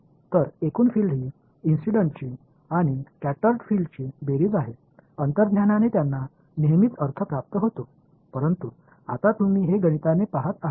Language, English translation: Marathi, So, total field is the sum of incident and scattered field intuitively they are always made sense, but now we are seeing it mathematically